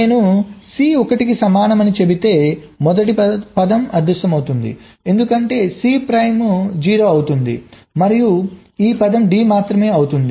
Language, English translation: Telugu, if i said c equal to one, the first term will vanish because c prime will be zero and this term will be only d